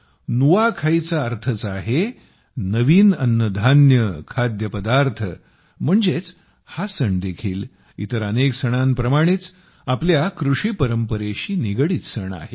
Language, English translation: Marathi, Nuakhai simply means new food, that is, this too, like many other festivals, is a festival associated with our agricultural traditions